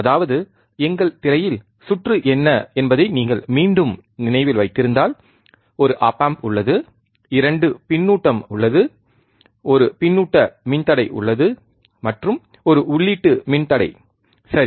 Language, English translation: Tamil, That means that if you if you again remember what was the circuit on our screen, it was that there is a op amp, there is 2 feedback, there is one feedback resistor, and one input resistor ok